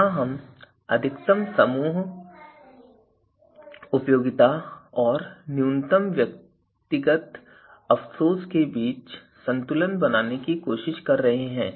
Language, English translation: Hindi, We are trying to balance here a maximum group utility versus this maximum group utility versus minimum individual regret